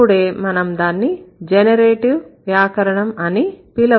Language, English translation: Telugu, So, then only you are going to call it generative grammar